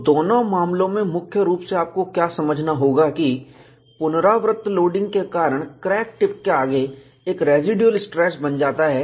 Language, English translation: Hindi, In both the cases, what you will have to understand primarily is, because of repeated loading, there is a residual stress created, ahead of the crack tip